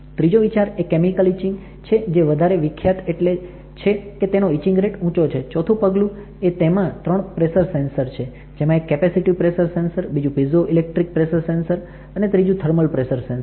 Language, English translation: Gujarati, The third key step is chemical etching is popular because of its high etching rate, fourth step is three times of pressure sensors are there; one is capacitive pressure sensor and there is a piezoelectric pressure sensor and then there is a thermal pressure sensor right